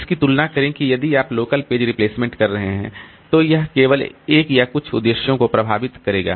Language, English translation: Hindi, Compared to that, if you are doing local page replacement, then it will only affect one or a few processes only